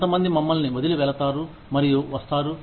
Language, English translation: Telugu, How many people, leave us and come